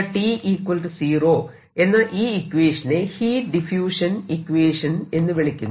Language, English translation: Malayalam, ok, so this is the i can call heat diffusion equation